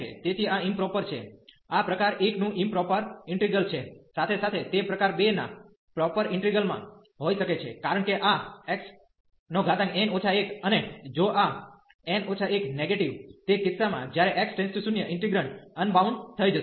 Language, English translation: Gujarati, So, this is a improper in this is an improper integral of type 1 as well as it can be in proper integral of type 2, because this x power n minus 1 and if this n minus 1 is negative in that case when x approaches to 0 the integrand will become unbounded